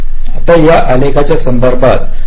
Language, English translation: Marathi, now, with respect to this graph, we then calculate sometimes